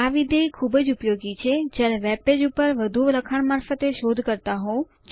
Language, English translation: Gujarati, This function is very useful when searching through large text on a webpage